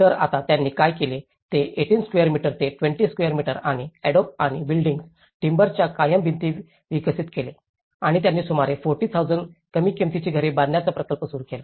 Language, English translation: Marathi, So, now what they did was they developed from 18 square meters to 20 square meters and the permanent walls of adobe and timber and they launched the project build about 40,000 low cost houses